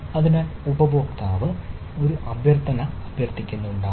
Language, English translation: Malayalam, so user may be requesting on a user requests